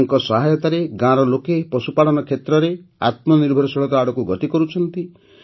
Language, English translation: Odia, With their help, the village people are moving towards selfreliance in the field of animal husbandry